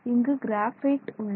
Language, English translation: Tamil, So, this is a graphene sheet